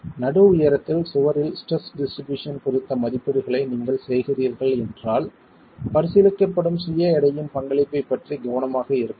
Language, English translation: Tamil, If you are making the estimates of the stress distribution in the wall at the mid height, then be careful about the contribution of the self weight that is being considered